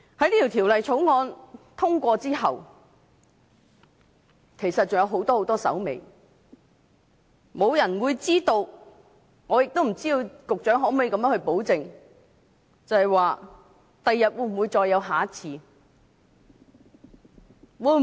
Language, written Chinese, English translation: Cantonese, 當《條例草案》獲得通過之後，其實還有很多手尾，沒有人會知道將來是否還有下一次，局長能否保證不會再有下一次？, After the Bill is passed a lot more problems will follow and no one knows whether there will be similar incidents in the future . Can the Secretary guarantee that there will not be similar incidents in the future?